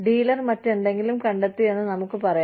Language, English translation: Malayalam, Let us say the dealer, have find, something else